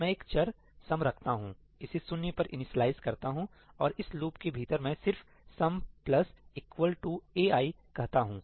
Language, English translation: Hindi, I keep a variable ‘sum’, initialize it to zero, and within this loop I just say ‘sum plus equal to ai’